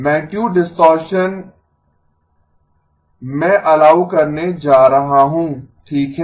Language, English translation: Hindi, Magnitude distortion I am going to allow okay